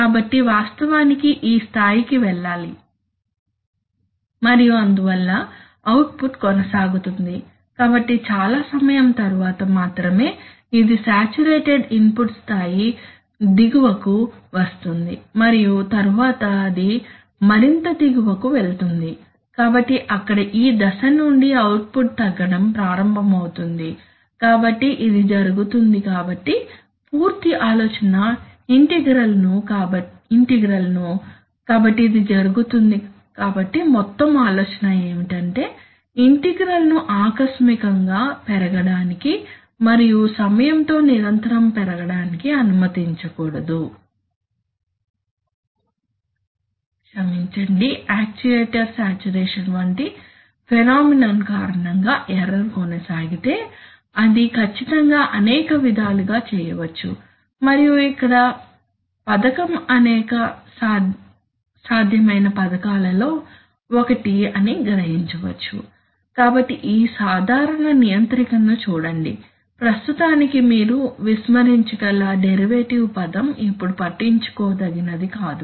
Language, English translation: Telugu, So what goes is actually this level and therefore the output persist, so only at this time after so much time does it come to the saturated, below the saturated input level and then it goes further below, so there, so from this point onward the output will start reducing, so this is what happens so this is so the whole idea is that the integral should not be allowed to blow up and continuously blow up with time if the, Sorry if the error persists due to a phenomenon like actuator saturation, so that is precisely that can be done in many ways and here is, here is one, here is the scheme one, one of many possible schemes which will realize that, so how do that, so look at this controller simple controller, we have, we have the usual PD that the derivative term which you can ignore for the time being is not concerned so we have a proportional term which is coming we also have a derivative term which is coming which we did not consider in this slide, so what is happening here is that, here, actually it is here suppose this is the actuator right